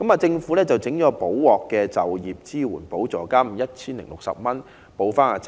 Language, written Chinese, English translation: Cantonese, 政府於是推出"補鑊"的就業支援補助金 1,060 元，填補差額。, It later introduced an Employment Support Supplement ESS of 1,060 as a remedy to make up the difference